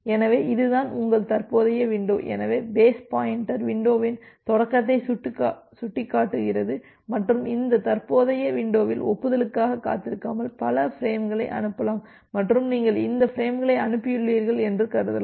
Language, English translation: Tamil, So, this is the this is your current window so, the base pointer points to the start of the window and in this current window you can send multiple frames without waiting for the acknowledgement and assumed that you have sent up to this frames